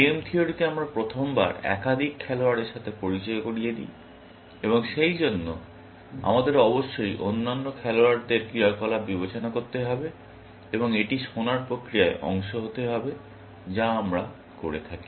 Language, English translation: Bengali, In game theory, we first time, introduce more than one player, and therefore, we have to consider the actions of other players, essentially, and that has to be part of listening process that we do, essentially